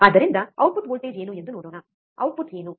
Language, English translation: Kannada, So, what is the output voltage let us see, what is the output